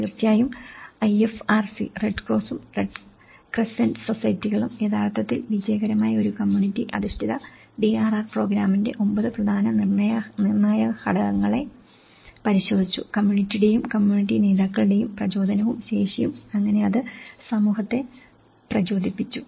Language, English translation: Malayalam, Of course, the IFRC; the Red Cross and Red Crescent Societies have actually looked at the 9 key determinants of a successful community based DRR program; the motivation and capacity of the community and community leaders so, how it has motivated the community